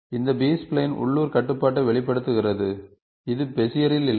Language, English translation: Tamil, These spline exhibits lot of local control, which is not there in Bezier